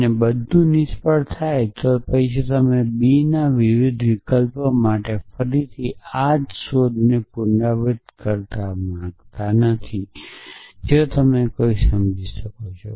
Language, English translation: Gujarati, And everything fails you do naught want to do repeat this same search again for a different option of b if you can figure out somehow that beach is the